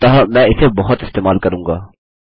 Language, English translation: Hindi, So I will be using this a lot